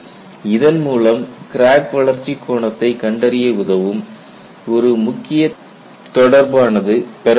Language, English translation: Tamil, This gives me a very important relationship for me to find out the crack growth angle